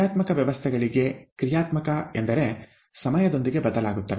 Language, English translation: Kannada, For dynamic systems, dynamic means, which change with time